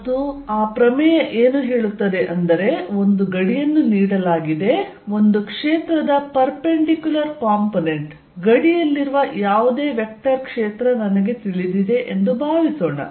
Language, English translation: Kannada, And what it states is given a boundary, suppose I know the perpendicular component off a field any vector field at the boundary